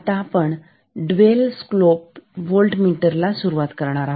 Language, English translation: Marathi, So, we were starting Dual slope voltmeter